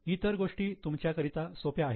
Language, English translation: Marathi, Other things I think are simple to you